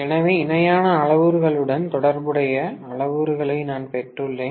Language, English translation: Tamil, So, I have got the parameters which are corresponding to the parallel parameters